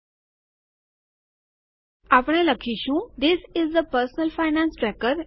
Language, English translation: Gujarati, Now we type THIS IS A PERSONAL FINANCE TRACKER